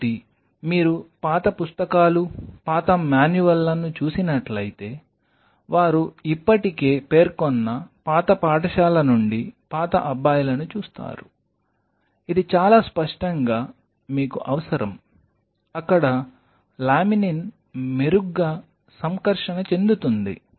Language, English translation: Telugu, So, if you see the old books, old manuals you will see the older guys from the old school they have already mentioned this very clearly you need it ornithine some positively charged there on which the laminin will interact better